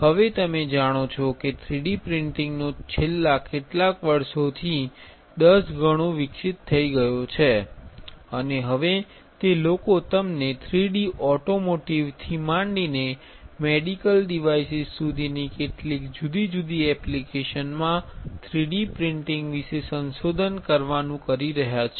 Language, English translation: Gujarati, Now, 3D printing as you know has evolved several tens of folds from last few years and now it has been people are exploring the you know the beauty of 3D printing into several different applications, right from automotive to medical devices